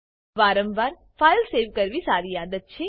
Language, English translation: Gujarati, It is a good practice to save the file frequently